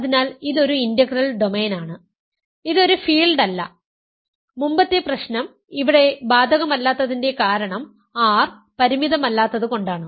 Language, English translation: Malayalam, So, it is an integral domain, it is not a field and the reason that the previous problem does not apply here is R is not finite